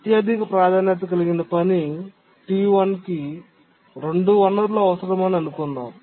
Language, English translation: Telugu, Let's assume that the highest priority task T1 needs several resources